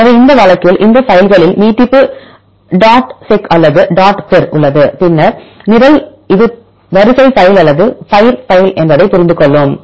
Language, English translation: Tamil, So, in this case these files have the extension dot seq or dot pir, then the program will understand this is the sequence file or it is the pir file